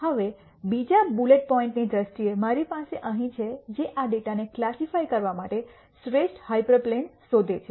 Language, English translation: Gujarati, Now, in terms of the other bullet point I have here which is nd the best hyper plane to classify this data